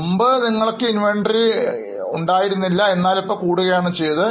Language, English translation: Malayalam, So, earlier you have got less inventory, now you have got more inventory